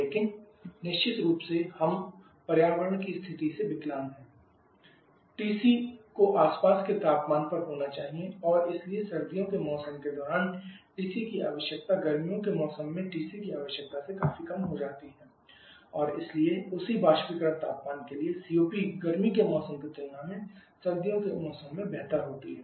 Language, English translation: Hindi, But of course we are handicapped by the environmental condition TC as to the surrounding temperature and therefore the TC requirement during the winter seasons and be significantly lower than the TC requirement in the summer season, and therefore the COP for the same evaporator temperature during the winter season can be much better compare to the summer season